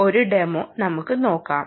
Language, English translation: Malayalam, so let us see a demonstration of this